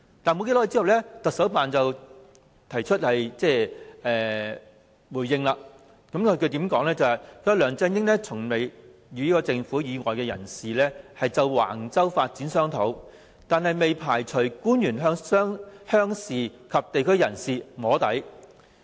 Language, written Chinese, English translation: Cantonese, 然而，其後不久，香港特別行政區行政長官辦公室作出回應，指梁振英從未與政府以外的人士就橫洲發展商討，但未排除官員曾向鄉事及地區人士"摸底"。, But shortly after the Office of the Chief Executive of the Hong Kong Special Administrative Region responded stating that LEUNG Chun - ying had never discussed Wang Chau development with anyone other than government officials but did not rule out that government officials had engaged in soft lobbying with the rural and local representatives